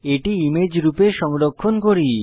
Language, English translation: Bengali, Let us now save this chart as an image